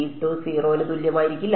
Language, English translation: Malayalam, E z will not be equal to 0